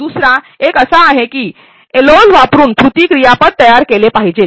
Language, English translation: Marathi, The second one is a that the LOs should be formulated in action verbs